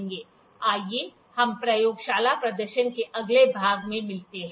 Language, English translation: Hindi, Let us meet in the next part of the lab demonstration